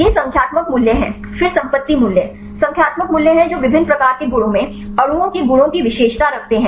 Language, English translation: Hindi, These are the numerical values then property values numerical values that characterize the properties of the molecules right in various type of properties